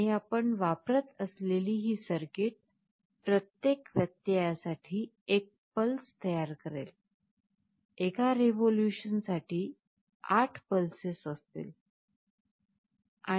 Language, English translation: Marathi, And this circuit that we will be using will be generating one pulse for every interruption; for one revolution there will be 8 pulses